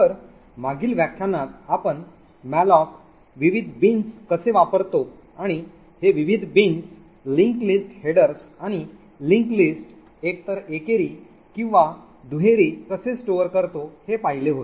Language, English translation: Marathi, So in the previous lecture we stopped off at how malloc uses the various bins and how these various bins store linked lists headers and this link list to be either single or doubly linked lists